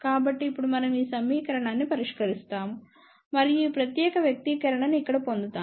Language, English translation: Telugu, So, now we solve that equation and we get this particular expression over here